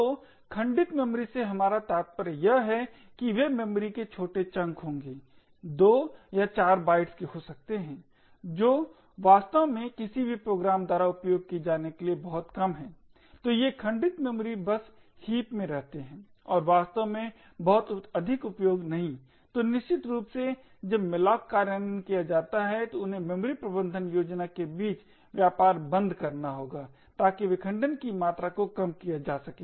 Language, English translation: Hindi, So what we mean by fragmented memory is that they would be tiny chunk of memory may be of 2 or 4 or 8 bytes which are too small to be actually used by any program, so by these fragmented memory just reside in the heap and is of not much use, so essentially when malloc implementations are made they would have to trade off between the memory management scheme so as to reduce the amount of fragmentation present